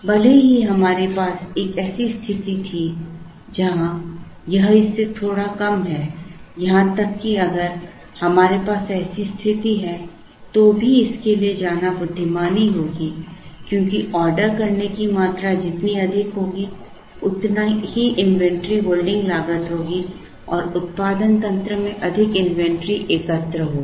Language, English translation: Hindi, Even if we had a situation where, this is slightly lesser than this; even if we have such a situation then it would still be wise to go for this because the larger the ordering quantity higher will be the inventory holding cost and more inventory will be built up in the system